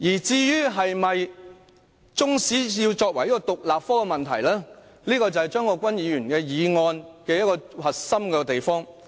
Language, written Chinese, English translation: Cantonese, 中史是否要成為獨立科是張國鈞議員的議案的核心內容。, Whether Chinese History should become an independent subject is the core content of Mr CHEUNG Kwok - kwans motion